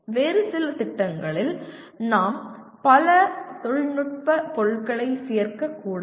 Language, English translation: Tamil, And in some other program, I may not include that many technical objects